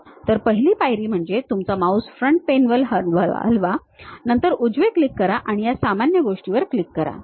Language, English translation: Marathi, So, first step is move your mouse onto Front Plane, then give a right click then click this normal thing